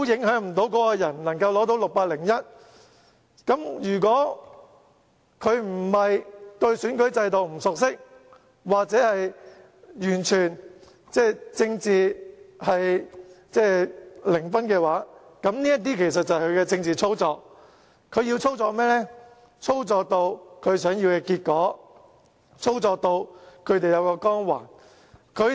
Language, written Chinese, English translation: Cantonese, 如果不是對選舉制度不熟悉或政治零分，這就是政治操作。要得到反對派想要的結果，令他們有光環。, If the opposition party is not unfamiliar with the electoral system or having a zero score in politics this is political manipulation for getting the result it wants and giving it a halo